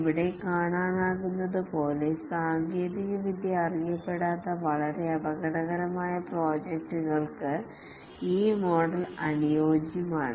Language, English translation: Malayalam, As can be seen here, this model is ideally suited for very risky projects where the technology is not known